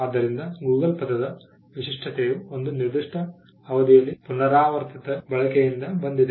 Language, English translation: Kannada, So, the distinctiveness of the word Google came by repeated usage over a period of time